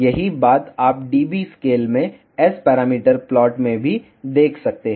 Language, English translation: Hindi, The same thing you can see in S parameter plot in dB scale also